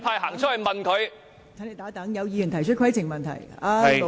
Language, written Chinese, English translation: Cantonese, 陳志全議員，請稍停，有議員提出規程問題。, Mr CHAN Chi - chuen please hold on . A Member has raised a point of order